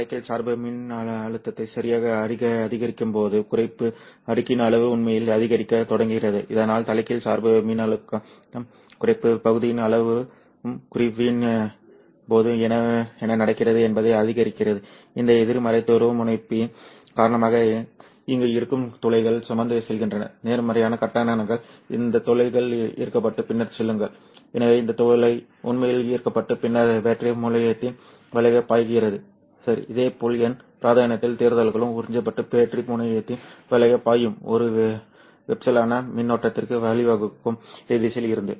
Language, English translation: Tamil, So as the reverse bias voltage, the amount of depletpletion region also increases what happens during depletion is that due to this negative polarity the holes which are present here which are carrying positive charges these holes would be attracted and then go to the so this hole actually gets attracted and then flows through the battery terminal Similarly the electrons in the N region will also be absorbed and will flow through the battery terminal giving rise to a conventional current from this direction